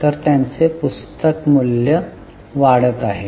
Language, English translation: Marathi, So, their book value is going up